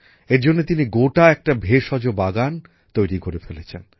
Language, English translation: Bengali, For this he went to the extent of creating a herbal garden